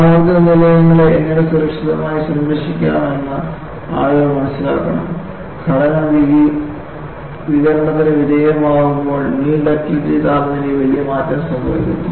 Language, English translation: Malayalam, People have to understand, how to safely guard the nuclear power plants; what they found was, when the structure is exposed to radiation, there is a drastic change happens on the nil ductility temperature